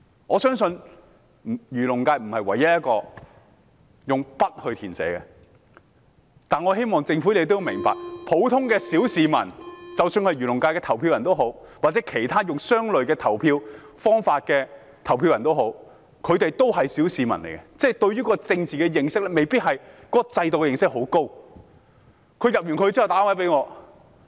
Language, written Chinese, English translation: Cantonese, 我相信漁農界不是唯一一個要用筆去填寫選擇的功能界別，但我希望政府明白，不論是漁農界的選民或以類似方法投票的選民，他們也是普通小市民，對政治制度未必有很多認識。, I think the Agriculture and Fisheries FC is not the only FC that requires its electors to write down their choices with a pen . But I hope the Government will understand that both the electors of the Agriculture and Fisheries FC and other electors who vote in a similar way are all ordinary citizens who may not know a lot about the political system